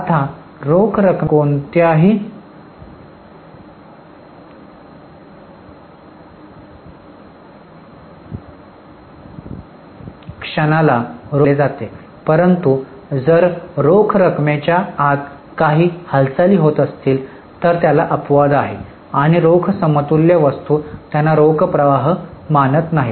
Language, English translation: Marathi, Now, any moment of cash is considered as a cash flow but there is an exception if there is a moment within cash and cash equivalent items don't consider them as cash flow